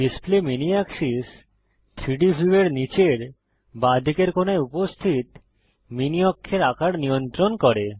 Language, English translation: Bengali, Display mini axis controls the size of the mini axis present at the bottom left corner of the 3D view